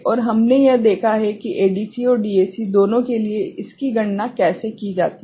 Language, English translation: Hindi, And we have seen it how it is calculated for both ADC and DAC